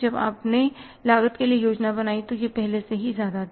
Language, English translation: Hindi, When you planned for the cost it was on the higher side